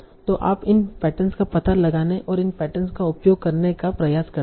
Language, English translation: Hindi, So like that you try to find out these patterns and using these patterns